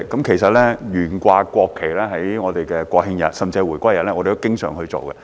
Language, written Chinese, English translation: Cantonese, 其實，我們都經常在國慶日甚至回歸日懸掛國旗。, In fact we often display the national flag on the National Day and even on the anniversary of reunification of Hong Kong